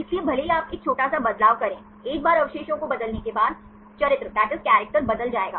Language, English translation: Hindi, So, even if you make a small change, once residue change, the character will change